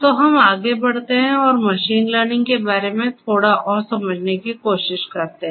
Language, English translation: Hindi, So, let us move forward and try to understand a bit more about machine learning